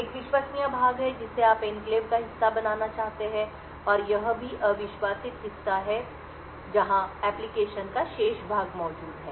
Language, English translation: Hindi, One is the trusted part which you want to be part of the enclave and also the untrusted part where the remaining part of the application is present